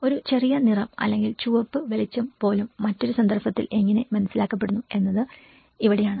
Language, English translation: Malayalam, So this is where again even a small colour or a red light how it is perceived in a different context